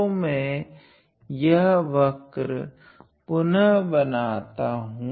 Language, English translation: Hindi, So, again I am drawing this curve again